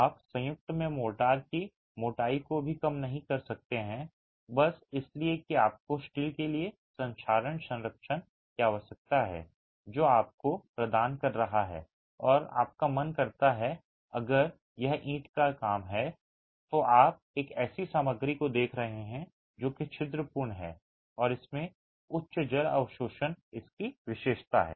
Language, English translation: Hindi, You cannot even reduce the motor thickness in the joints simply because you need corrosion protection for the steel that you are providing and mind you if it is brickwork then you are looking at a material which is rather porous and has high water absorption as its characteristic